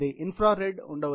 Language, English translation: Telugu, There can be an infrared